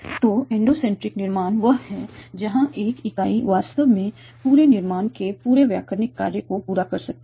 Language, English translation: Hindi, So endocentric construction is one where one of the entity here can actually fulfill the whole grammatical function of the whole of the complete construction